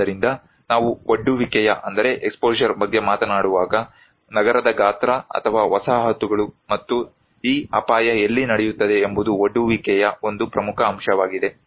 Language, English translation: Kannada, So, when we are talking about the exposure, the size of the city or the settlements and where this hazard will take place is one important component of exposure